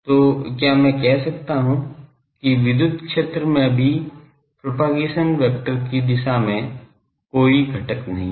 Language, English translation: Hindi, So, can I say that the electric field also does not have any component in the direction of the propagation vector